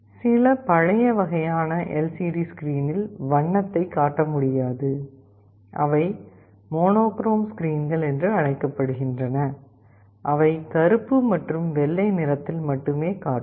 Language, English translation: Tamil, Some of the older kind of LCD screens cannot display color; those are called monochrome screens, they can display only in black and white